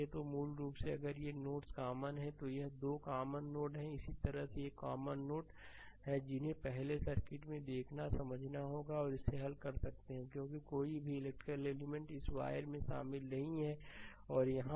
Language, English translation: Hindi, So, basically if these nodes are common this 2 are it is a common node, similarly these is common node little bit you have to first understand looking at the circuit and the you can solve it because no electrical element is involve between in this wire and here also right